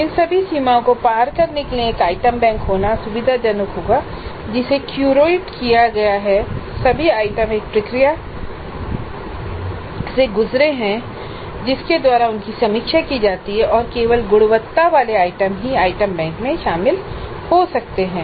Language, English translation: Hindi, Now in order to overcome all these limitations it would be convenient to have an item bank which has been curated which has gone through where all the items have gone through a process by which they are reviewed and the quality items only have entered the item bank